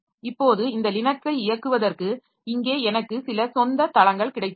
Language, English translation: Tamil, Now you see that for running this Linux, so here I have got some native platforms